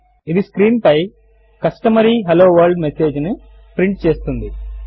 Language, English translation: Telugu, This prints the customary Hello World message on the screen